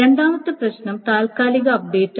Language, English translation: Malayalam, The second problem is the temporary update